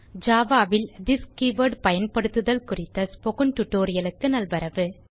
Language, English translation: Tamil, Welcome to the Spoken Tutorial on using this keyword in java